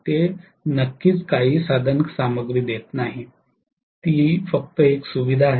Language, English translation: Marathi, It is definitely not giving any resources; it is only a facilitator